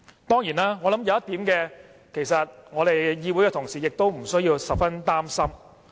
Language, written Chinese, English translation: Cantonese, 當然，我覺得有一點，我們議會的同事無須擔心。, Of course there is another point which will address the worries of fellow Members